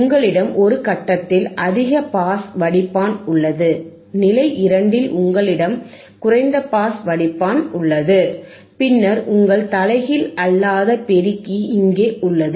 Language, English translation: Tamil, Y you have a low pass filter at stage 2, which is here, and then you have your inverting amplifier your non inverting amplifier here, right